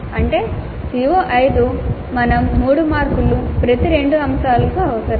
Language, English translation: Telugu, That means for CO5 we need two items three marks each